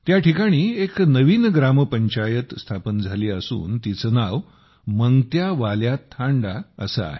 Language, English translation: Marathi, A new Gram Panchayat has been formed here, named 'MangtyaValya Thanda'